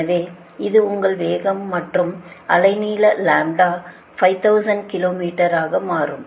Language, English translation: Tamil, so this is that your velocity and wave length lambda will become five thousand kilo meter